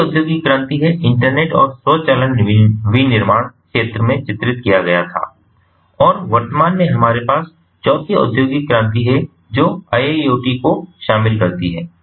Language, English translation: Hindi, in the third industrial revolution, internet and automation was featured in manufacturing and at present what we have is the fourth industrial revolution, which incorporates iiot